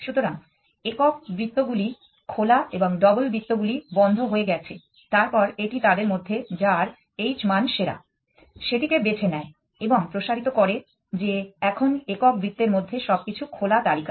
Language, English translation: Bengali, So, the single circles are open and the double circles are closed then it picks one of them whichever has the best h value and expands that now everything else everything in single circles season open list